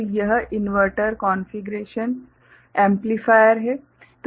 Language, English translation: Hindi, So, this is the inverter configuration amplifier